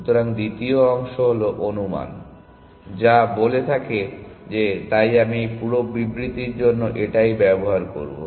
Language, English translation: Bengali, So, the second part is the hypothesis, which says that let so I will just use this for this whole statement